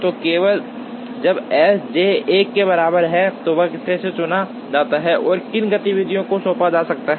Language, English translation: Hindi, So, only when S j equal to 1 that workstation is chosen and to which activities can be assigned